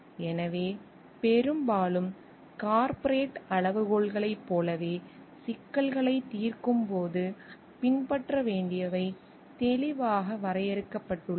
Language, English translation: Tamil, So, in like often in a corporate criteria that must be followed while solving problems are clearly defined